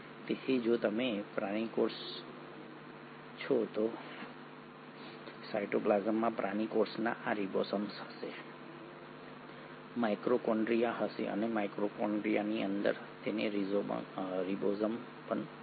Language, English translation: Gujarati, So if you take an animal cell, the animal cell in the cytoplasm will also have ribosomes, will have a mitochondria and within the mitochondria it will also have a ribosome